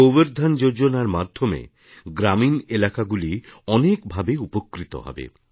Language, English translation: Bengali, Under the aegis of 'GobarDhanYojana', many benefits will accrue to rural areas